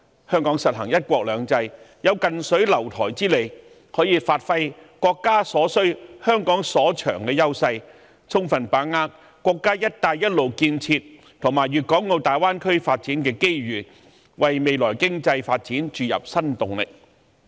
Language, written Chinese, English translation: Cantonese, 香港實行"一國兩制"，有近水樓臺之利，可以發揮國家所需、香港所長的優勢，充分把握國家"一帶一路"建設，以及粵港澳大灣區發展的機遇，為未來經濟發展注入新動力。, The one country two systems implemented in Hong Kong gives us a privileged position to provide the country with what it needs which are also what we are good at . We can thus fully capitalize on the Belt and Road Initiative of our country and the development opportunity of the Greater Bay Area to give fresh impetus for our future economic development